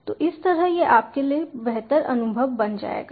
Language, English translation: Hindi, so that way it will become a, a enhance on experience for you